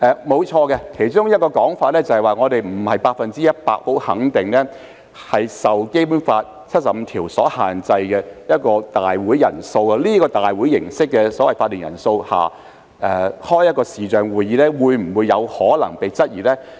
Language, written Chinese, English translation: Cantonese, 沒錯，其中一個說法是我們不能百分之一百肯定，《基本法》第七十五條下的立法會會議人數限制，在這個立法會會議法定人數下所舉行的視像會議，是否有可能被質疑。, True and one of the arguments is that we cannot be 100 % certain about whether the quorum of the meetings of the Legislative Council conducted by videoconferencing will be challenged given the requirement on the attendance of the meetings of the Legislative Council under Article 75 of the Basic Law